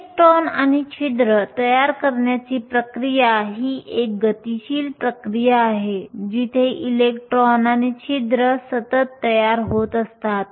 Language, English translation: Marathi, The process of formation of the electrons and holes is a dynamic process that is electrons and holes are constantly being formed